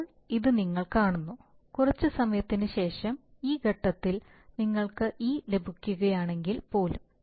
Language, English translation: Malayalam, So now you see that even if, if after sometime this, at this point if you even if we get e